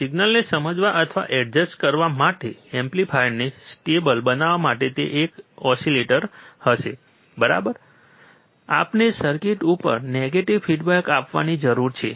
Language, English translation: Gujarati, It will be an oscillator to, to make the amplifier stable to understand or adjust the signal, right, we need to apply a negative feedback to the circuit